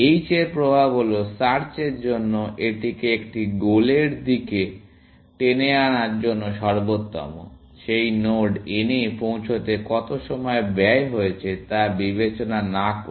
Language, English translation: Bengali, The effect of h is like, best for search to pull it towards a goal, without any regard to what was the time spent in reaching that node n